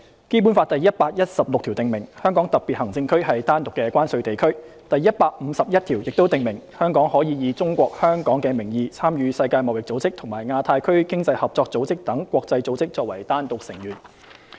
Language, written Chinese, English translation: Cantonese, 《基本法》第一百一十六條訂明，香港特別行政區是單獨的關稅地區；第一百五十一條亦訂明，香港可以"中國香港"的名義參與世界貿易組織和亞太區經濟合作組織等國際組織作為單獨成員。, Article 116 of the Basic Law stipulates that the Hong Kong Special Administrative Region HKSAR is a separate customs territory; Article 151 provides that Hong Kong may using the name Hong Kong China participate in such international organizations as the World Trade Organization WTO and the Asia - Pacific Economic Cooperation as a separate member